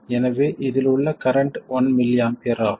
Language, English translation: Tamil, So, the current in this is 1 millie ampere